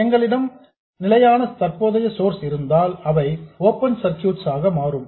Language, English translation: Tamil, If you have fixed current sources they will become open circuits